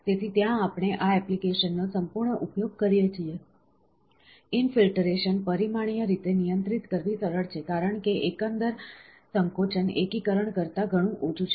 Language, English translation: Gujarati, So, there we use this application exhaustively, infiltration is easier to control dimensionally, as the overall shrinkage is much less than during consolidation